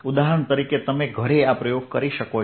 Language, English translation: Gujarati, as an example, you can do this experiment at home